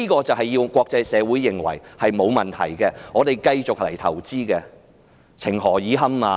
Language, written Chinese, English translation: Cantonese, 政府要國際社會認為香港沒有問題，繼續來投資，情何以堪？, The Government wants the international community to think that there is nothing wrong with Hong Kong and they can continue to invest here . How embarrassing!